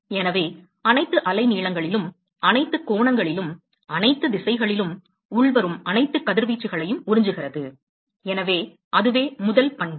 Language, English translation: Tamil, So, it absorbs all incoming radiation, at all wavelengths, and all angles, all directions, so, that is the first property